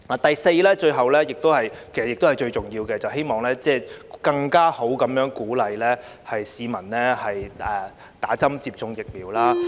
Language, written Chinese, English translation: Cantonese, 第四，是最後亦是最重要的一點，便是我希望政府能更好地鼓勵市民接種疫苗。, Fourthly and last but not least I hope that the Government can better encourage the public to receive vaccination